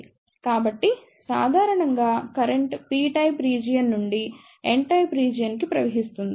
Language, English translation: Telugu, So, in general the current flows from the p type region to the n type region